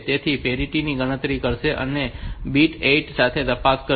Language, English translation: Gujarati, So, it will compute the parity and check with the bit 8